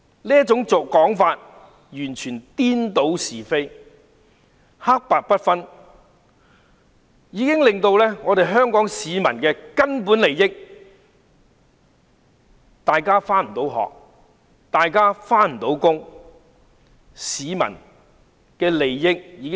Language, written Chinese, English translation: Cantonese, 這種說法完全是顛倒是非，黑白不分，損害香港市民的根本利益，令大家不能上學、不能上班。, Their explanation is a total inversion of right and wrong and shows a complete inability to distinguish right from wrong . It undermines the fundamental interests of the people of Hong Kong . As a result people cannot go to school or work